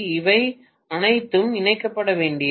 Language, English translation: Tamil, This is all to be connected